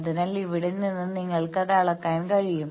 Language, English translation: Malayalam, So, from here you can measure that